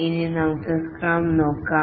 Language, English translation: Malayalam, Now let's look at scrum